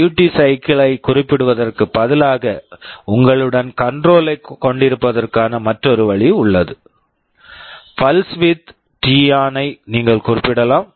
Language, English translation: Tamil, Instead of specifying the duty cycle there is another way of having the control with yourself; you can specify the pulse width t on